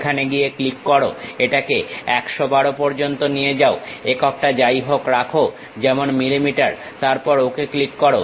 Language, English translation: Bengali, Click go there, adjust it to 112 whatever the units like millimeters, then click Ok